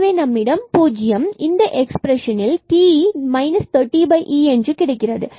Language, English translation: Tamil, So, we will get 0 and t will be minus 30 over e from this expression here